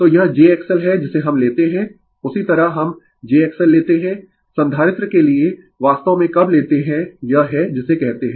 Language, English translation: Hindi, So, this is jX L we take so, we take jX L similarly, for the capacitor when will take actually it is your what you call